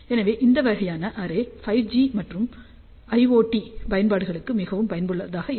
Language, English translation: Tamil, So, this kind of a array would be extremely useful for 5 G and iot applications